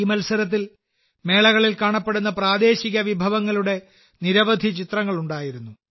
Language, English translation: Malayalam, In this competition, there were many pictures of local dishes visible during the fairs